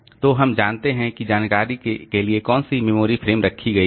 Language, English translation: Hindi, So, we know which memory frame for that where is the information kept